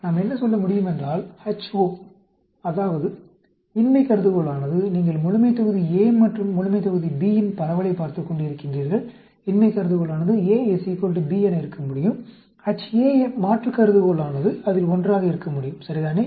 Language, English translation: Tamil, We can say, H naught, that is the null hypothesis is, you are looking at distribution of population A and population B, the null hypothesis could be A is equal to B; the Ha, the alternate hypothesis could be one of them, right